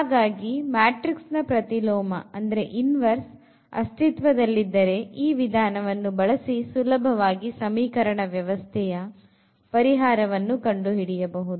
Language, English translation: Kannada, So, if we have the inverse of a matrix we can easily write down the solution of the system